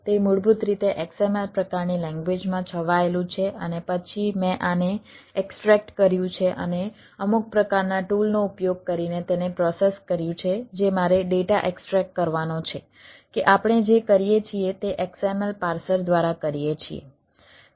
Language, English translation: Gujarati, it is basically ah enveloped in a xml type of language, and then i have do extract these and process it using some application, some sort of a ah tool that i have to extract the data, that what we do is doing through a xml parser